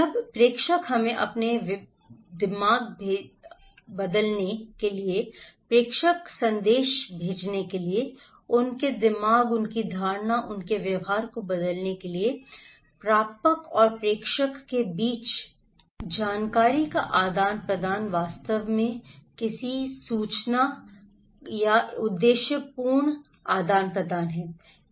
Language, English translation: Hindi, Now sender send us their, send informations, message to the receivers in order to change their mind, their perception and their behaviour and this exchange of informations between receiver and senders is actually a purposeful exchange of information